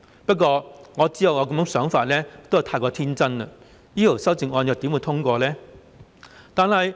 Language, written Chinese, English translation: Cantonese, 不過，我知道這樣想是過於天真，這項修正案又怎會獲通過呢？, Yet I know I am too naïve to think so . How would this amendment be passed?